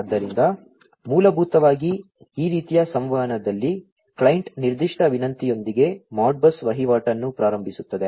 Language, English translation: Kannada, So, basically in this kind of communication the client initiates the Modbus transaction with a particular request